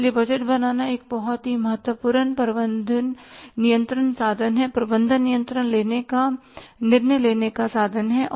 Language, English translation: Hindi, So, budgeting is a very, very important management control tool, management decision making tool and we are learning here